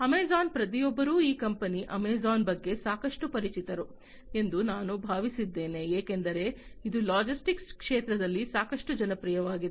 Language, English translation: Kannada, Amazon, I think everybody is quite familiar with this company Amazon, because it is quite popular in the logistics sector